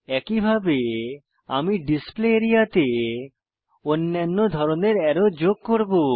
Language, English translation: Bengali, Likewise I will add other types of arrows to the Display area